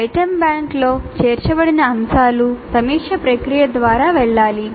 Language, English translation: Telugu, So items included in an item bank need to go through a review process